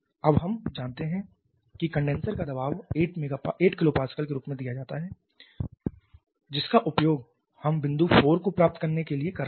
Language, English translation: Hindi, Now we know the condenser pressure is given as 8 kilo Pascal of course we are using that to get point 4